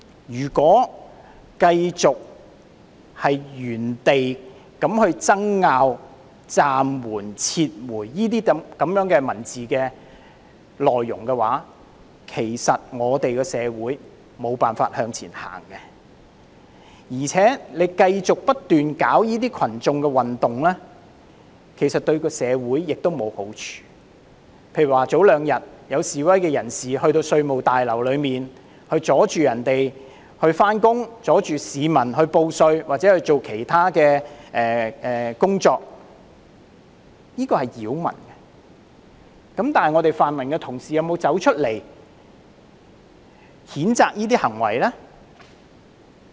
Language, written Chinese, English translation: Cantonese, 如果繼續原地爭拗暫緩或撤回這些文字內容，社會便無法再向前走，而且繼續不斷搞群眾運動，對社會亦沒有好處，例如兩天前有示威人士到稅務大樓阻礙職員上班，阻礙市民報稅或做其他的工作，這是擾民，但泛民同事有否出來譴責這些行為呢？, If we remain obsessed with arguing about such wording as suspension or withdrawal our society will not be able to move on . Moreover an endless instigation of mass movements is by no means beneficial to society . Two days ago for example some protesters impeded staff members going to work and caused obstruction to the public in filing tax returns or handling other matters at the Revenue Tower